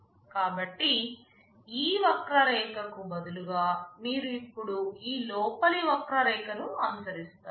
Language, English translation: Telugu, So, instead of this curve, you are now following this inner curve